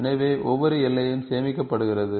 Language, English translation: Tamil, So, each boundary is stored